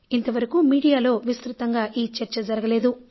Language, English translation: Telugu, The media has not discussed this topic